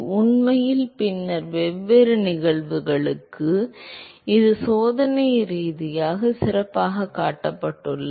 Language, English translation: Tamil, In fact, for different cases later, by the way this has been experimentally shown very well